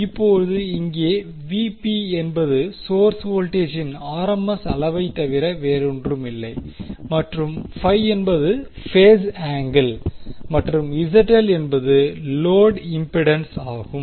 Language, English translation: Tamil, Now, here VP is nothing but the RMS magnitude of the source voltage and phi is the phase angle and Zl is the load impedance